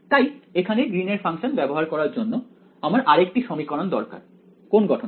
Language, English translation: Bengali, So, in order to use this Green’s function over here I should have another equation of the form what